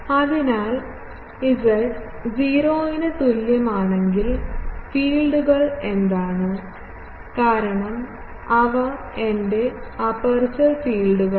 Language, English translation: Malayalam, So, at z is equal to 0 what are the fields; because those are my aperture fields